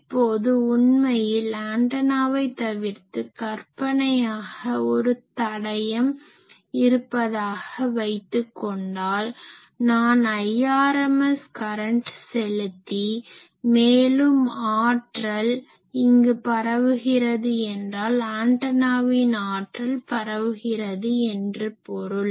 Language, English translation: Tamil, Now, actually we can say that as if instead of an antenna you have a fix fictitious resistance, I am giving I rms current and power is dissipated here in case of antenna power is radiated